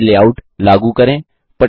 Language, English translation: Hindi, Lets apply a layout to a slide